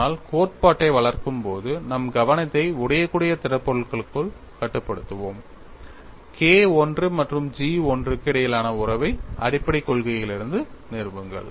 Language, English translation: Tamil, But while developing the theory, we would confine our attention to brittle solids; establish the relationship between K 1 and G 1 from fundamental principles